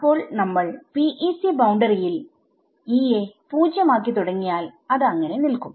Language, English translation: Malayalam, So, if we initialize E to be 0 on the PEC boundary it stays that way right